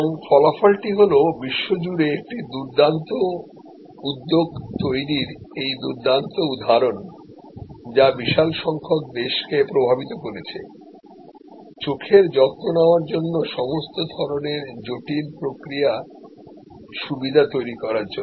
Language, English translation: Bengali, And the result is this fantastic example of creation of a great enterprise across the world influencing large number of countries providing all kinds of eye care very intricate processes